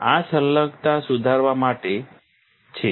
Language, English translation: Gujarati, This is to improve the adhesion, right